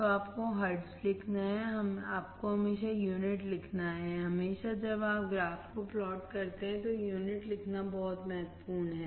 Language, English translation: Hindi, So, you have to write hertz, you have to write gain write always unit, always when you plot the graph, write units very important